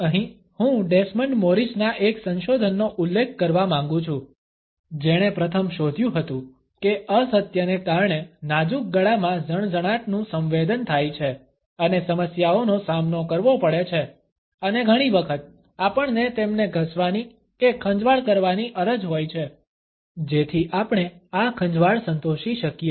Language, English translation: Gujarati, Here, I would like to refer to a research by Desmond Morris, who was the first to discover that lies caused a tingling sensation in the delicate neck and faced issues and often we have an urge to rub or to scratch them so that we can satisfy this itching and therefore, we find that whenever people are uncertain about what they have to say, they scratch their neck